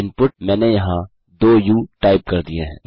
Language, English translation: Hindi, Input I typed 2 us here